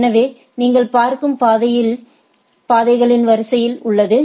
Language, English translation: Tamil, So, you have a sequence of sequence of paths which is looked into